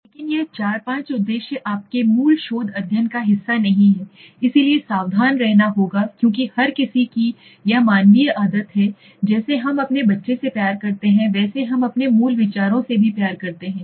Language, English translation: Hindi, But this 4th and 5th objective are not part of your basic research study, so one has to be careful because everybody has a this is the human habit that we love our child you know we love our basic ideas, we feel that is it is very good and very everything is very important